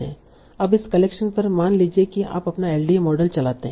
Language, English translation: Hindi, Now on this collection suppose you run your LDA model